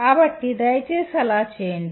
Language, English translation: Telugu, So please do that